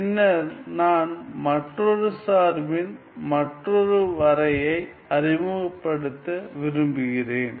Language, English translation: Tamil, Then I want to introduce another function another definition called